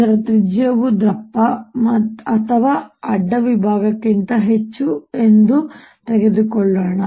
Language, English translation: Kannada, let us take the radius of this to be much, much, much greater than the thickness of your cross section